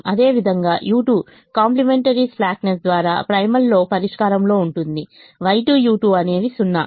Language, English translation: Telugu, similarly, u two is in the solution in the primal by complimentary slackness: y two, u two is zero